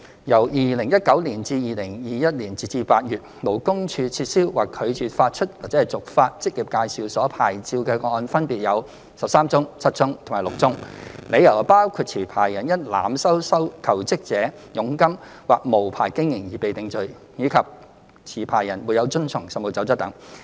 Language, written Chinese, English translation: Cantonese, 由2019年至2021年，勞工處撤銷或拒絕發出/續發職業介紹所牌照的個案分別有13宗、7宗及6宗，理由包括持牌人因濫收求職者佣金或無牌經營而被定罪，以及持牌人沒有遵從《實務守則》等。, From 2019 to 2021 up to August LD revoked or refused to issue or renew the licences of 13 7 and 6 EAs respectively on the grounds that the licensees had been convicted of overcharging of commission from jobseekers or unlicensed operation or had failed to comply with CoP etc